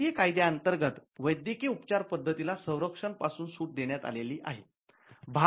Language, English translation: Marathi, There is a medical method of treatment are exempted from protection under the Indian act